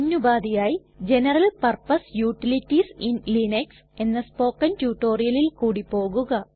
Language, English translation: Malayalam, If not please refer to the tutorial on General Purpose Utilities in Linux